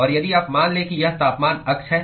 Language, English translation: Hindi, And if you assume that the this is the temperature axis